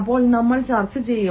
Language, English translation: Malayalam, we shall discuss then